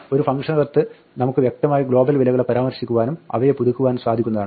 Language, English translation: Malayalam, Within a function we can implicitly refer to the global one and update it